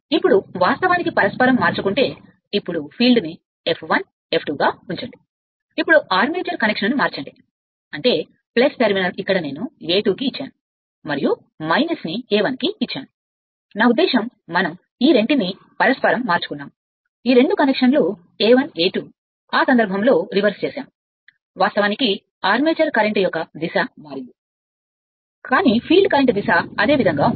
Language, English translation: Telugu, Now, now if you interchange, now the keep the field as it is F 1 F 2, now interchange the armature connection right; that means, plus terminal here I have brought to A 2 and minus 1 I have brought to A 1 I mean here, just we have interchanged these 2, these 2 connection A 1 A 2 reversed in that case your, what you call direction of the armature current is changed, but field current direction remain same